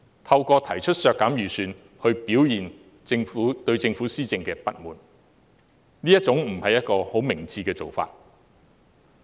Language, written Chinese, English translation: Cantonese, 透過提出削減撥款來表達對政府施政的不滿，不是很明智的做法。, It is not very sensible to express dissatisfaction with the Government by proposing budget cuts